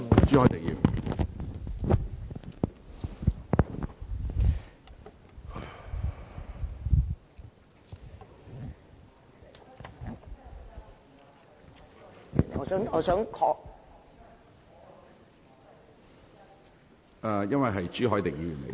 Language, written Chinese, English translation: Cantonese, 主席，我想確定一個問題......, President I would like to confirm one point